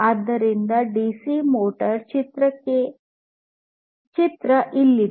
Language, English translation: Kannada, So, here is the picture of a dc motor